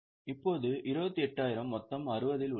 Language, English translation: Tamil, Now, 28,000 is on a total of 60